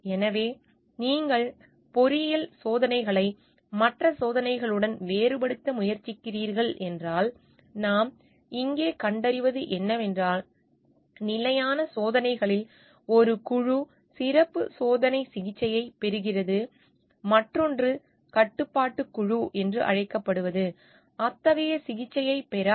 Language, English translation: Tamil, So, if you are trying to contrast engineering experiments with other experiments, what we find here is that in standard experiments one group receives the special experimental treatment while the other is called a control group does not receive any such treatment